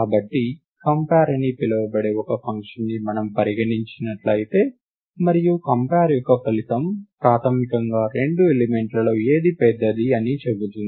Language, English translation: Telugu, So, therefore, we imagine a function called compare, and the result of compare will basically tell us which of the two elements is is the larger of the 2